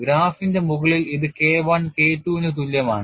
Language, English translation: Malayalam, At the top of the graph you have this as K1 equal to K2